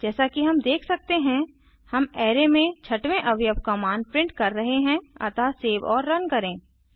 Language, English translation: Hindi, As we can see, we are printing the value of sixth element in array SoSave and run